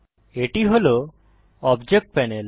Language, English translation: Bengali, This is the Object Panel